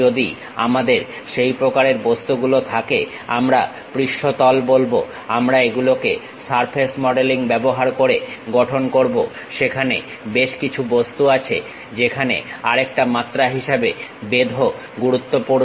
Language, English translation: Bengali, If we have such kind of objects, we call surface we construct it using surface modelling; there are certain objects where thickness are the other dimensions are also important